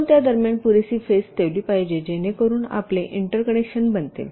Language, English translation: Marathi, you should keep sufficient space in between so that you will interconnections can be made